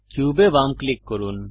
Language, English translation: Bengali, Left click Cube